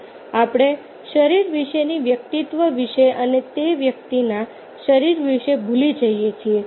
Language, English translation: Gujarati, we forget about the personality, about the body, about the physique of that person